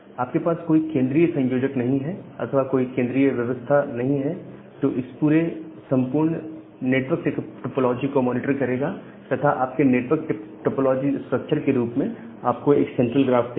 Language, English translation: Hindi, And you do not have any central coordinator or centralized system which will monitor this entire network topology and give you a central graph in the in the form of your network topology structure